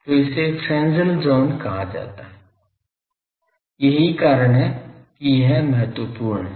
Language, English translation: Hindi, So, that is called Fresnel zone that is why it is important